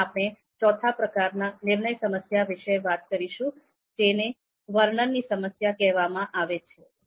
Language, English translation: Gujarati, Now let’s talk about the fourth type of decision problem, this is called description problem